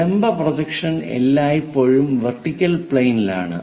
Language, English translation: Malayalam, The vertical projection always be on that vertical plane